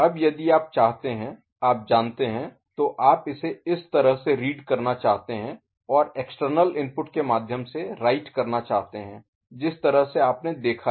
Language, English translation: Hindi, Now, if you want that you know, you want to read it this way and also want to write through external inputs the way you have seen